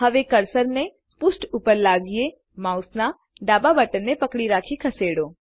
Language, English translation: Gujarati, Now bring the cursor to the page gtgt Hold the left mouse button and Drag